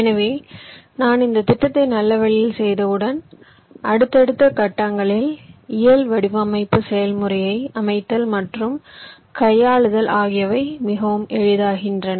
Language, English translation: Tamil, so once i do this planning in a nice way, the task of laying out and handling the physical design process in subsequent stages becomes much easier